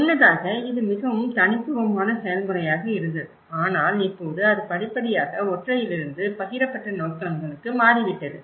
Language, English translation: Tamil, And earlier, it was very singular process but now it has gradually changed from a singular to the shared visions